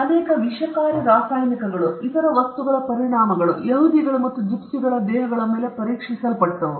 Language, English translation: Kannada, The effects of many toxic chemicals and other substances were tested on the bodies of Jews and gypsies